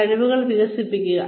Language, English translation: Malayalam, Develop your skills